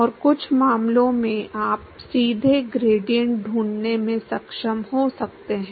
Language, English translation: Hindi, And some cases you may be able to find the gradient directly